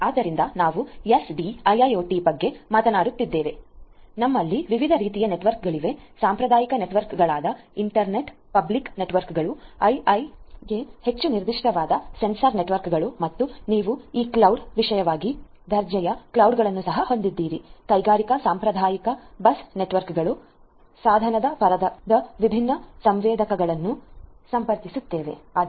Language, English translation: Kannada, So, if we are talking about SDIIoT we have different types of networks, the traditional networks like your internet public networks, sensor networks which is more specific to IIoT and you also have this cloud particularly industry grade cloud industrial traditional bus networks, connecting different sensors at the device layer and so on